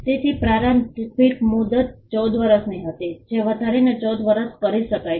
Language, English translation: Gujarati, So, the initial term was 14 years which could be extended to another 14 years